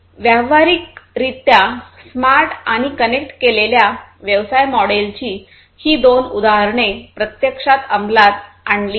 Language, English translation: Marathi, So, these are the two examples of smart and connected business models being implemented in practice